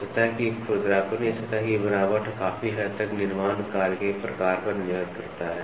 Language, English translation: Hindi, So, surface roughness or surface texture depends to a large extent on the type of manufacturing operation